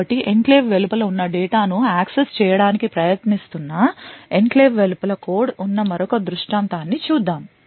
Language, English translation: Telugu, So, let us see another scenario where you have code present outside the enclave trying to access data which is present inside the enclave